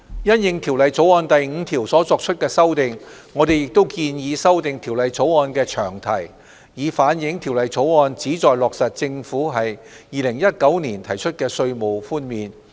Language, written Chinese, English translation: Cantonese, 因應《條例草案》第5條所作的修訂，我們亦建議修訂《條例草案》的詳題，以反映《條例草案》旨在落實政府在2019年提出的稅務寬免。, In response to the amendment made to clause 5 we also propose that the long title of the Bill be amended to reflect that the Bill seeks to implement the tax reduction proposals made by the Government in 2019